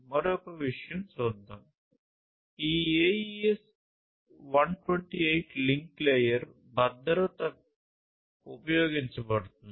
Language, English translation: Telugu, So, so, let us look at and one more thing is that this AES 128 link layer security is used